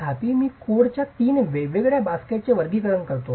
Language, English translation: Marathi, However, I classify three different baskets of codes